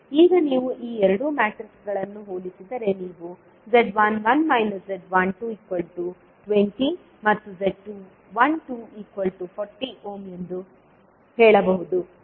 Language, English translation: Kannada, Now, if you compare these two circuits you can say that Z11 minus Z12 is simply equal to 20 ohm and Z12 is 40 ohms